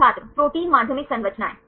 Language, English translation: Hindi, Protein secondary structures